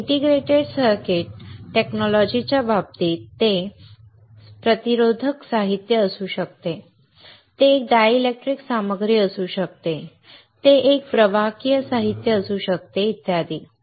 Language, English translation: Marathi, But in case of integrated circuit technology it can be resistive material, it can be a dielectric material, it can be a conductive material etc